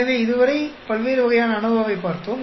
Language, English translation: Tamil, So, we looked at different types ANOVA so far